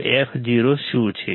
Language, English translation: Gujarati, So, what is f o